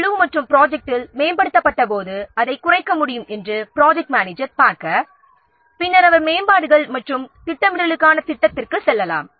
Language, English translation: Tamil, So, the project manager to see that when the impact of this was upgrades on the team and the project, it can be minimized then he may go for a plan for upgrades and scheduling them